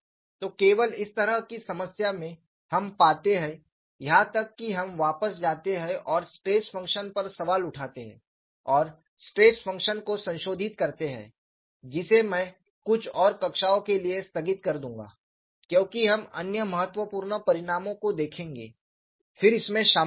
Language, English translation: Hindi, So, only in this kind of a problem, we find, even we go back and question the stress function, and modify the stress function, which I would postpone for another few classes;, because we would looked at other important results, then get into this